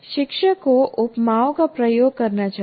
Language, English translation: Hindi, So the teacher should use similes and analogies